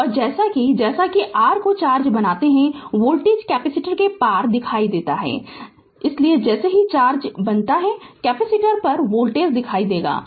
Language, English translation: Hindi, And as the and as the your what you call the charge builds up right, voltage appears across the capacitor right So, as the as the charge builds up, voltage appears across the capacitor